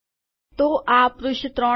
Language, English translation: Gujarati, So this is in page 3